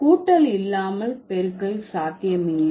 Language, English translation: Tamil, Without addition, multiplication is not possible